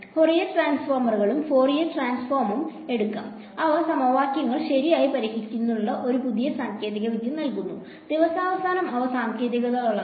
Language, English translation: Malayalam, So, I can take Fourier transforms and Fourier transforms they give us a new set of techniques to solve equations right, at the end of the day they are techniques